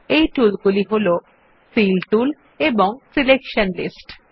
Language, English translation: Bengali, These tools are namely, Fill tool, Selection lists